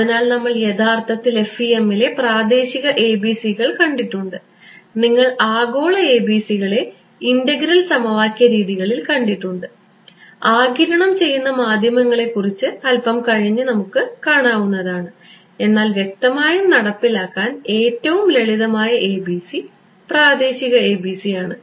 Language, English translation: Malayalam, So, we have actually seen local ABCs in FEM, you have seen global ABCs in integral equation methods and we will look at absorbing media little bit later, but the simplest ABC to implement is; obviously, local ABC this guy